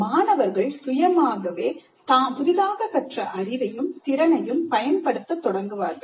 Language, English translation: Tamil, The students would independently try the application of the newly acquired knowledge and skills